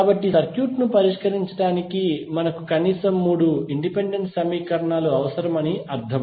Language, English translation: Telugu, So, that means that we need minimum three independent equations to solve the circuit